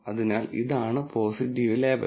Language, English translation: Malayalam, So, this is the positive label